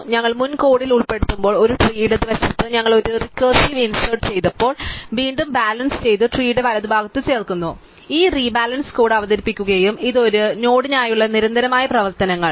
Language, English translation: Malayalam, So, when we in our earlier code for insert, when we did a recursive insert in the left of a tree we rebalance it, similarly we insert in the right of the tree we rebalance it, we just introduce this rebalance code and note is that this a constant operations for this node